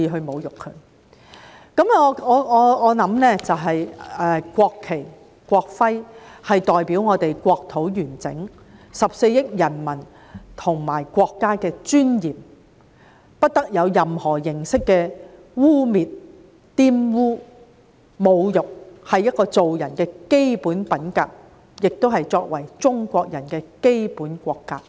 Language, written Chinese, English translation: Cantonese, 我認為國旗、國徽代表了我們國土的完整、14億人民和國家的尊嚴，不得受到任何形式的污衊和侮辱，這是做人的基本品格，也是作為中國人的基本國格。, I believe that the national flag and the national emblem represent the territorial of our country the dignity of our 1.4 billion people and our country and should not be defiled or desecrated in any way . This is the basic character of a human being and the basic national character of a Chinese